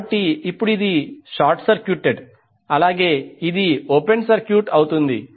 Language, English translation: Telugu, So now this will be short circuited, this will be open circuited